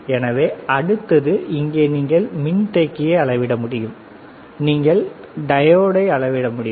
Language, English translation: Tamil, So, next one, here what is that you can measure capacitor, you can measure diode